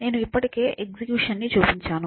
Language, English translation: Telugu, So, I already showed you the execution